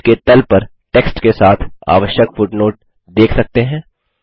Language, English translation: Hindi, You can see the required footnote along with the text at the bottom of the page